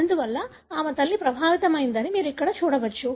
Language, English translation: Telugu, Therefore, you can see here that her mother is affected